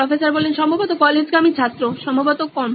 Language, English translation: Bengali, Probably the college going student probably lesser